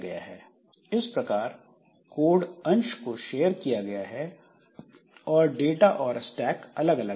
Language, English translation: Hindi, So, code part is shared but data and stack are separate